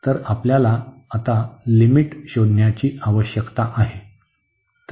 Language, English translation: Marathi, So, we need to find the limits now